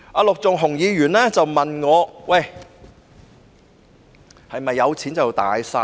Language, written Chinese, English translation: Cantonese, 陸頌雄議員問我，是否有錢便"大晒"？, Mr LUK Chung - hung asked me if having money means having all the say?